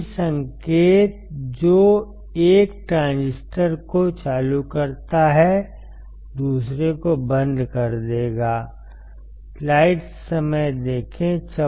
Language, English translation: Hindi, The same signal which turns on 1 transistor will turn off the another one